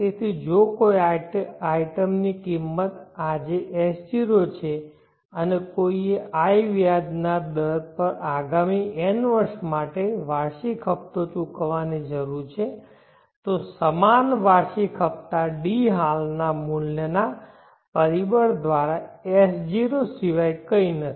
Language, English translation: Gujarati, So if an item cost S0 today and one needs to pay yearly installments for the next n years at an interest of I interest rate of I